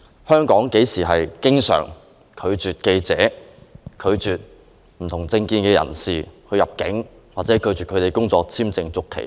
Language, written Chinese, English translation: Cantonese, 香港經常拒絕記者和持不同政見的人士入境或拒絕他們的工作簽證續期嗎？, Is it common for Hong Kong to refuse the entry of journalists and dissidents or refuse the renewal of their work visas?